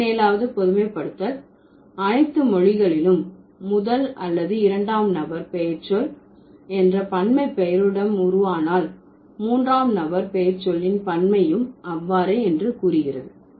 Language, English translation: Tamil, And 17 generation says if there is a plural of first or second person pronoun is formed with a nominal plural, then the plural of third person is also going to be formed in the same way